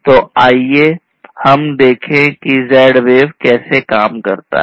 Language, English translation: Hindi, So, let us look at how Z wave works